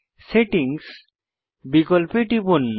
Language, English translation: Bengali, Click on the Settings option